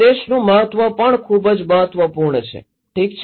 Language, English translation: Gujarati, Importance of message is also very important, okay